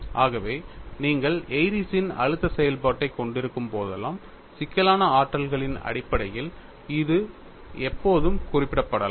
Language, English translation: Tamil, So, whenever you have an Airy's stress function, it can always be represented in terms of complex potentials, how they are represented